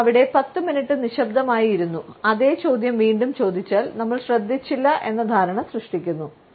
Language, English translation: Malayalam, If we sat there quietly for ten minutes and asked the same question, we make the impression that we did not even pay attention